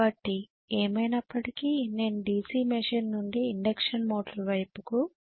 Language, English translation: Telugu, So anyway I migrated from the DC machine to the induction motor